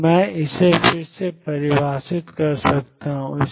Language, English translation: Hindi, So, I can redefine its